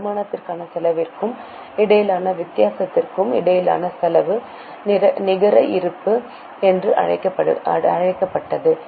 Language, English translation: Tamil, The difference between income and expense was termed as a net balance